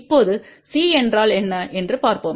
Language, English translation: Tamil, Now, let us see what is C